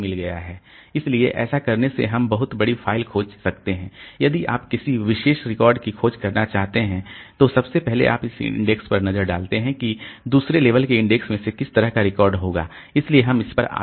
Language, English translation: Hindi, So, if we want to search for a particular record so first you look into this index to figure out like which second level index will have that particular record